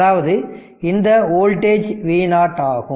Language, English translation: Tamil, So, this voltage is V a